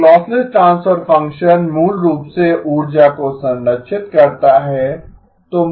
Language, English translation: Hindi, A lossless transfer function basically preserves energy